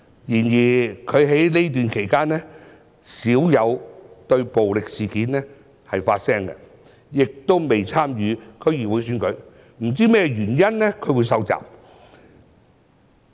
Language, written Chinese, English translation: Cantonese, 然而，他在這段期間少有就暴力事件發聲，亦未有參與區議會選舉，不知道他受襲的原因。, However as he seldom voiced his opinions on recent violent cases and is not running in the upcoming DC Election I wonder why he would become a target of attacks